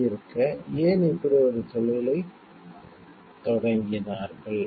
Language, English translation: Tamil, So, why they started a business like this